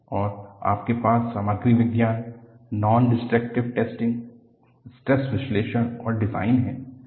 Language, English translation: Hindi, And, you have Material science, Nondestructive testing, Stress analysis and design